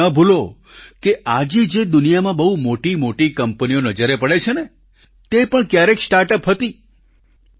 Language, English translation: Gujarati, And you should not forget that the big companies which exist in the world today, were also, once, startups